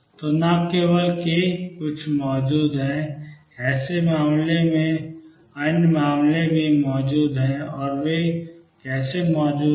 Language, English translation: Hindi, So, not only k naught is present in such case other case also present, and how are they present